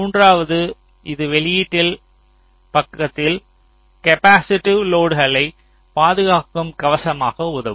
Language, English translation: Tamil, and thirdly, it can help shield capacitive load on the output side